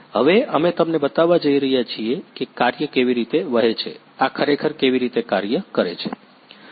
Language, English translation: Gujarati, Now we are going to show you how the work flow, how this actually work